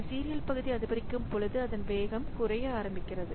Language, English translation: Tamil, So as the sequential portion increases, this speed up starts decreasing